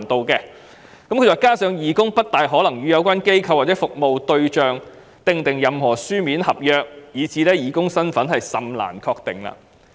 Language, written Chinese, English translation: Cantonese, 此外，政府說"加上義工不大可能與有關機構或其服務對象簽訂任何書面合約，以致義工身份甚難確定"。, Besides the Government has said that volunteers are not likely to sign any written contract with the organizations or beneficiaries they serve it would be difficult to ascertain the identity of a volunteer